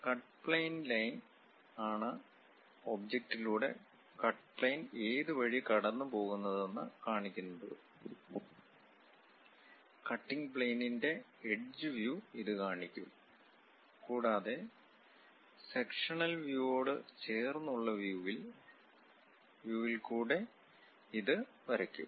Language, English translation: Malayalam, A cut plane line is the one which show where the cut plane pass through the object; it represents the edge view of the cutting plane and are drawn in the view adjacent to the sectional view